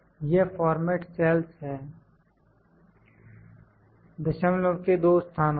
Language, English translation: Hindi, This is format cells two places of decimals